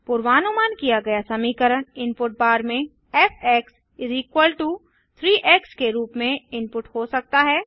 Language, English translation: Hindi, The predicted function can be input in the input bar as f = 3 x